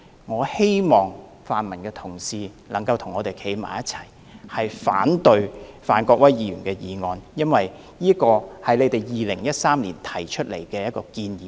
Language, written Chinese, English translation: Cantonese, "我希望泛民議員能夠與我們一同反對范國威議員的議案，因為上述是他們在2013年提出的建議。, End of quote I hope pan - democratic Members can join hands with us in opposing Mr Gary FANs motion because the aforementioned proposal was put forth by them back in 2013